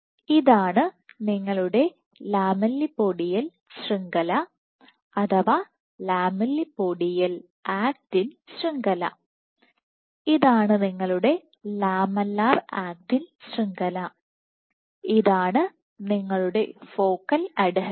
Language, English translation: Malayalam, So, this is your lamellipodial network, lamellipodial actin network, this is your lamellar actin network and this is your focal adhesion